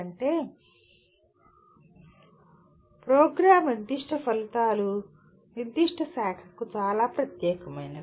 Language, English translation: Telugu, That means the Program Specific Outcomes are very specific to particular branch